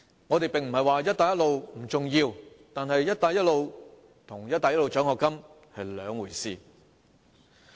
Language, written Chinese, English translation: Cantonese, 我們並非說"一帶一路"不重要，但"一帶一路"與"一帶一路"獎學金是兩回事。, We are not saying that the Belt and Road Initiative is unimportant but the Belt and Road Initiative and the Belt and Road scholarship are two different matters